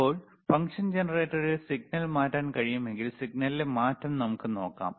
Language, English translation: Malayalam, Now, if we can if we change the signal in the function generator, let us see the change in signal